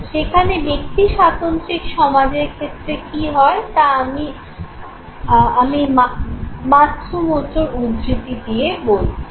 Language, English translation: Bengali, Whereas in the case of individualistic society I am quoting Matsumoto